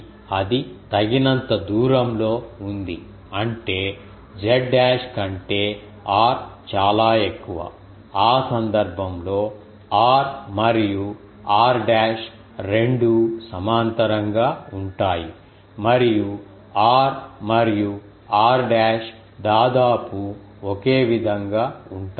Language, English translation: Telugu, So, that is sufficiently away; that means, r is much greater than ah z dash, in that case the r and r dashed both are parallel and r and r dashed are almost same